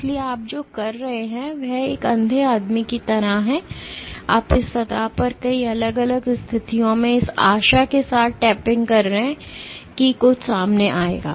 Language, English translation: Hindi, So, what you are doing is like a blind man, you are just tapping the surface at multiple different positions with the hope that something will come up